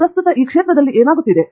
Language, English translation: Kannada, What is happening currently in the area